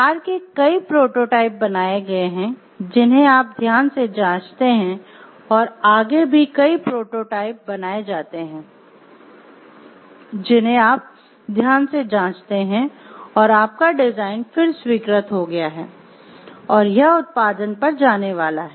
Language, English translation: Hindi, Several prototypes of the car are built, which you check carefully after that several prototypes are built which you check carefully your design is then approved and it is about to go to production